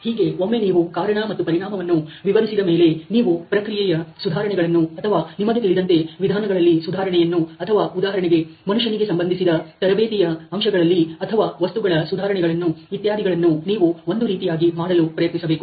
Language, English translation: Kannada, So, once it has been distributed as cause and effect, you can sort of try to do process improvements or you know improvements in the methods or improvements in the, let say the man related training aspects etcetera or even the materials